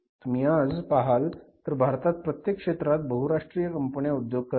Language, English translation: Marathi, So, do you see in every sector there are the multinational companies operating in India